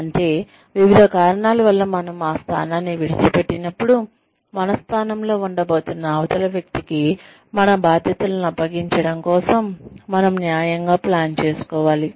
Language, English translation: Telugu, Which means, that we have to plan judiciously, for handing over our responsibilities, to the other person, who is going to be in our position, when we leave that position, for various reasons